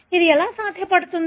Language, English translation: Telugu, How is it possible